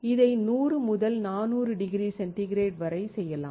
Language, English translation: Tamil, This can be done from 100 to 400 degree centigrade